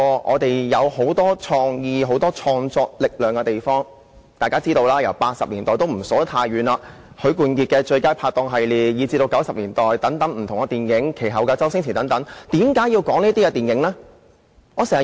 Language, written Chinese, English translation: Cantonese, 我也不數算太遠的日子，大家也知道 ，1980 年代的電影有許冠傑的"最佳拍檔"系列，及至1990年代有不同的電影，然後就是周星馳的電影。, I will not go back too far . We all know that for films in the 1980s we had Sam HUIs Aces Go Places series . In the 1990s we had many good productions and then came Stephen CHOWs films